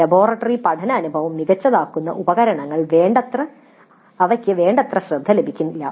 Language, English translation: Malayalam, So the tools which would make the laboratory learning experience better would not receive adequate attention